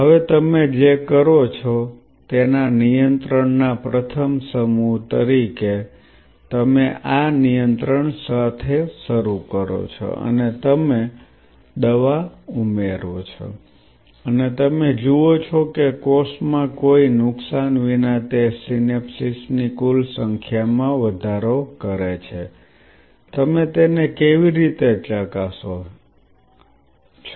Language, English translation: Gujarati, Now, as a first set of control what you do, you this is control with nothing and you add the drug and you see whether in a without any damage in the cells is it increasing the total number of synapses, how you get validate it